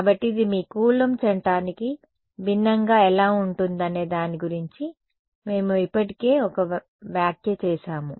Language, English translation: Telugu, So, we have already made one comment about how this is different from your Coulomb's law right ok